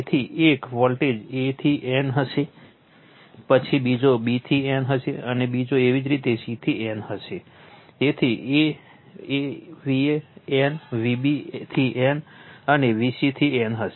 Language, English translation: Gujarati, So, here we have marked that your a, b, c, so one voltage will be a to n, then another will be b to n, another will be your c to n, so V a to n, V b to n, and V c to n right